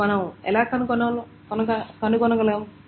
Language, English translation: Telugu, Now how to compute it